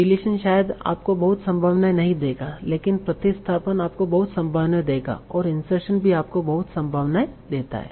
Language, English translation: Hindi, Delation will probably not give you many possibilities, but substitution will give you a lot of possibilities and insertion should also give you a lot of possibilities